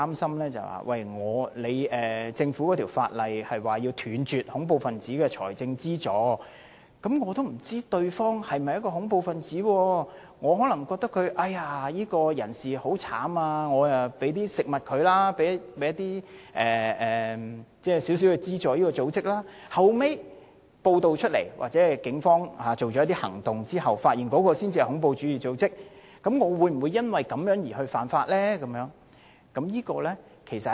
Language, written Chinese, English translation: Cantonese, 此外，《條例》訂明要斷絕恐怖分子的財政資助，有同事擔心，如果有市民不知道對方是否恐怖分子，可能覺得某人很淒涼，便給他一些食物，或者給某個組織一點資助，後來經報道後或者在警方進行一些行動後才知道那是恐怖主義組織，他會否因而犯法？, Moreover the Bill provides that terrorist financing is strictly prohibited . Some Members are concerned whether a member of the public will breach the law if he gives another person some food out of pity without knowing that he is a terrorist; or if he gives some financial support to an organization and only learns that it is a terrorist organization after the fact has been reported or the Police has taken certain actions